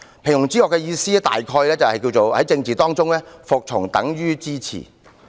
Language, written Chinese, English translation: Cantonese, "平庸之惡"的意思泛指"在政治中，服從就等於支持"。, The banality of evil means that in politics obedience equals support